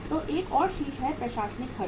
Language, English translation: Hindi, So one more head is the administrative expenses